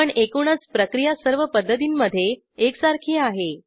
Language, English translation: Marathi, But the overall procedure is identical in all the methods